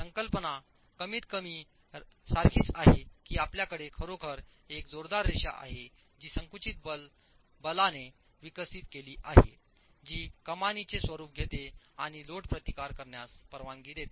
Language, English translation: Marathi, The concept is more or less the same, that you actually have a thrust, a thrust line that is developing of the forces of the compressive forces which takes the form of an arch and allows for load resistance